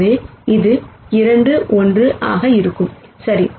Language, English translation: Tamil, So, this will be 2 1, right